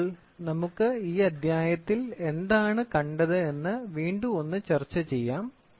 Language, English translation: Malayalam, So, to recapitulate, so what have we seen in this chapter